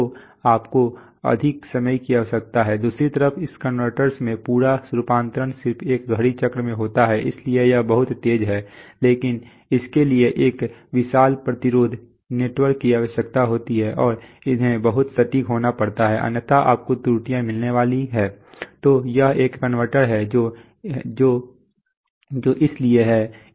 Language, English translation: Hindi, So you need more time, on the other hand in this converter the whole conversion is just in one clock cycle so it is much faster but then it requires a huge resistance network and they have to be very precise otherwise you are going to get errors, so this is a converter which is therefore